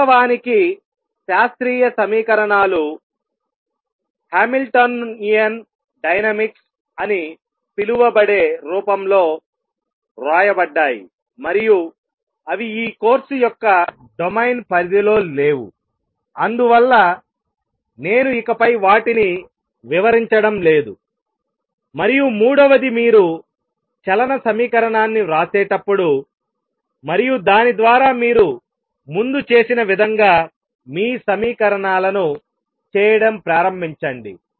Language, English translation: Telugu, In fact, the classical equations are written in the form which is known as Hamiltonian dynamics and if I write those that will take me out of the domain of this course and therefore, I am not going to dwell on that any further and third when you write the equation of motion and then through that you start doing your equations as was done earlier